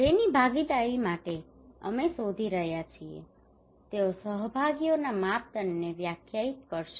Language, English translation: Gujarati, Those whose participations we are seeking for they will define the criteria of participations